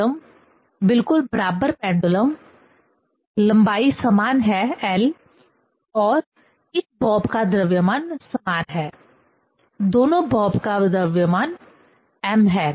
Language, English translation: Hindi, Two pendulum, exactly equal pendulum: length is same l and the mass of this bob is same; both bob mass is m